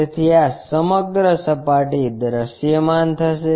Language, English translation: Gujarati, So, this entire surface will be visible